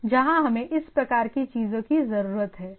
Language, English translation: Hindi, So, there are different places where we need this type of things